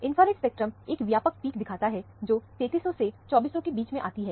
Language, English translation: Hindi, The infrared spectrum shows a broad peak between 3300 to 2400